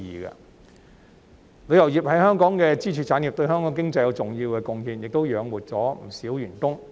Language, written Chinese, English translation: Cantonese, 旅遊業是香港的支柱產業，對香港經濟有重要貢獻，亦養活了不少員工。, Tourism is a pillar industry in Hong Kong which has made important contribution to the economy of Hong Kong and supported the living of many employees